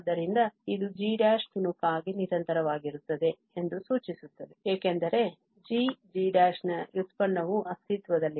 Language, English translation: Kannada, So, this implies that g prime is piecewise continuous because the derivative of g prime exists